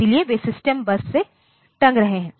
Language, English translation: Hindi, So, they are hanging from the system bus